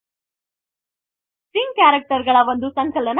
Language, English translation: Kannada, String is a collection of characters